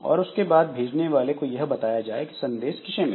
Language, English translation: Hindi, So, and then the sender is notified who the receiver was